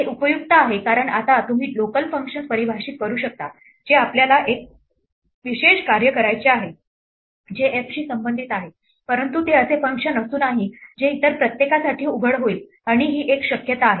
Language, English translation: Marathi, This is useful because now you can define local functions which we may want to perform one specialized task which are relevant to f, but it should not be a function which is exposed to everybody else and this is a possibility